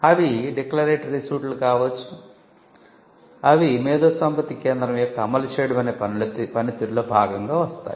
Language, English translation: Telugu, They could also be declaratory suits which can come as a part of the enforcement function of an IP centre